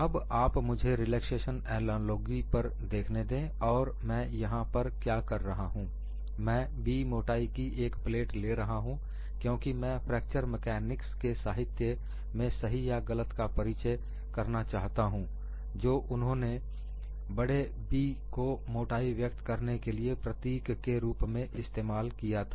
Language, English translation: Hindi, Now, let me look at the relaxation analogy and what I do here, I take a plate of thickness B, because I want to introduce in fracture mechanics literature rightly or wrongly, they have use the symbol capital B to denote the thickness